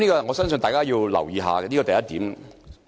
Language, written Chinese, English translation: Cantonese, 我相信大家要留意一下，這是第一點。, This is the first point which I believe Members should pay attention to